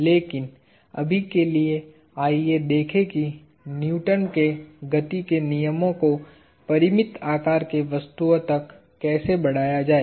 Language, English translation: Hindi, But, for now, let us see how to extend Newton’s laws of motion to finite sized bodies